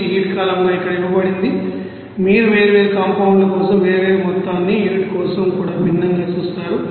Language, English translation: Telugu, It is given here as heat column you will see that different amount for different you know compound even different for unit